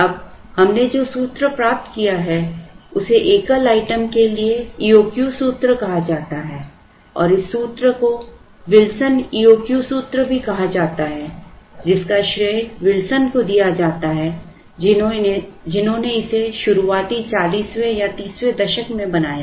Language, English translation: Hindi, Now, the formula that we have derived is called the E O Q formula for a single item and this formula is also called the Wilsons E O Q formula attributed to Wilson who derived it somewhere I think in the early forties or thirties so on